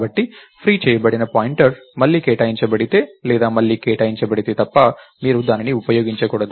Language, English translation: Telugu, So, you must not use a freed pointer, unless it is re assigned or reallocated